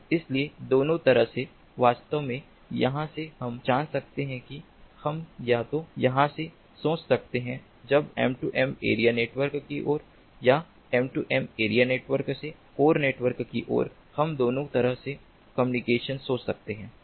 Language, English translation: Hindi, so both way, actually, from here we can, you know, we can either think of it from here, when towards the m two m area network, or from the m two m area network towards the core network